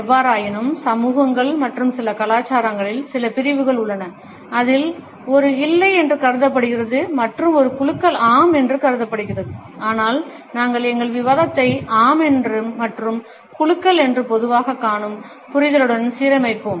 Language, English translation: Tamil, However, there are certain segments of societies and certain cultures in which the nod is considered to be a no and a shake is considered to be a yes, but we would continue our discussion aligning with the commonly found understanding of the nod as yes and shake as a no